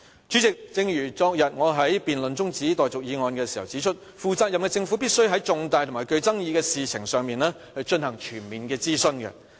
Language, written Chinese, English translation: Cantonese, 主席，正如我昨天在辯論中止待續議案時指出，負責任的政府必須在重大及具爭議的事情上，進行全面的諮詢。, President I pointed out during the adjournment motion debate yesterday that as a responsible government it must conduct comprehensive consultation on every important and controversial issue